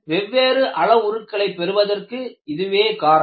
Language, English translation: Tamil, That is a reason, why you have different parameters